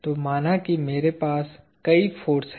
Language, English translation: Hindi, So, let us say I have several of these forces